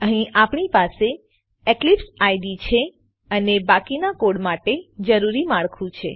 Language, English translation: Gujarati, Switch to Eclipse Here we have the Eclipse IDE and the skeleton required for the rest of the code